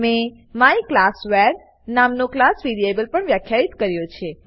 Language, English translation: Gujarati, I have also defined a class variable myclassvar And I have assigned a value to it